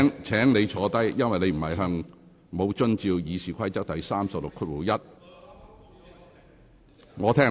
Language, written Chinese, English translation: Cantonese, 請你坐下，因為你沒有遵守《議事規則》第361條。, Please sit down since you have not acted in accordance with Rule 361 of the Rules of Procedure